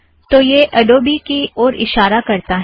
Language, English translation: Hindi, So it is pointing to Adobe